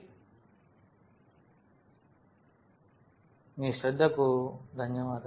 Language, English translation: Telugu, And thank you for your attention